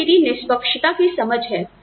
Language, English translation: Hindi, That is my sense of fairness